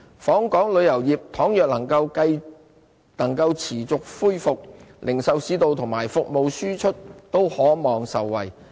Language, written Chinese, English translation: Cantonese, 訪港旅遊業倘若能夠持續恢復，零售市道及服務輸出都可望受惠。, If visitor arrivals can keep on recovering it may benefit the retail sector and services exports